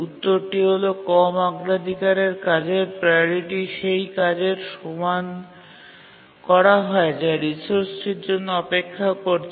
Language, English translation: Bengali, The answer is that make the priority of the low priority task as much as the task that is waiting for the resource